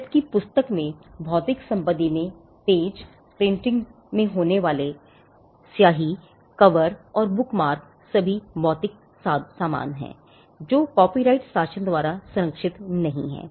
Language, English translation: Hindi, Whereas, the physical property in the book itself says the pages, the ink used in printing, the cover and the bookmark are all physical goods which are not protected by the copyright regime